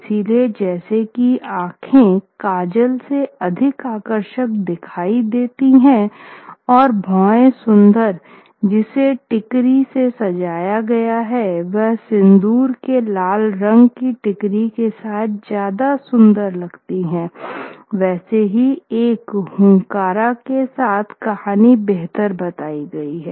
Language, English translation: Hindi, So just as eyes look more alluring outlined in coal and a brow looks prettier decorated with a ticry in Sindhuri red, so is a story better told with a hunkara